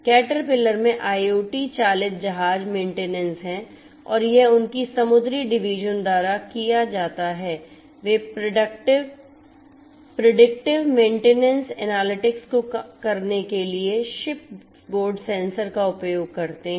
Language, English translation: Hindi, Caterpillar has the IoT driven ship maintenance and that is done by their marine division they use the ship board sensors to perform predictive maintenance analytics